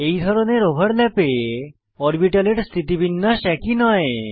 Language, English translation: Bengali, In this type of overlap, orientation of the orbitals is not same